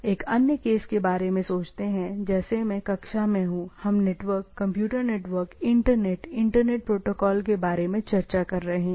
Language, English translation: Hindi, I, let us think of another case, like here in a class room I am, we are discussing about the network, computer network, internet, internet protocols